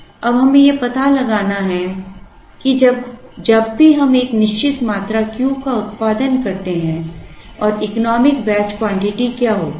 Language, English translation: Hindi, Now, we have to find out whenever, we produce a certain quantity Q and what is the economic batch quantity